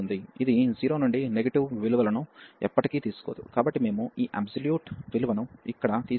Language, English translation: Telugu, So, this never takes negative values in 0 to pi, therefore we have remove this absolute value here